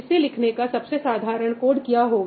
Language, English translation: Hindi, So, what would be the simplest code that you would write for this